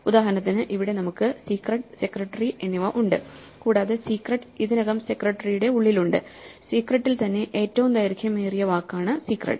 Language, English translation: Malayalam, For instance, here we have secret and secretary and secret is already also inside secretary and clearly secret is the longest word in secret itself